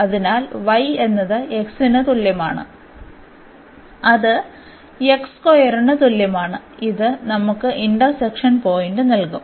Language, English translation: Malayalam, So, y is equal to x is equal to x square and this will be give us the point of intersection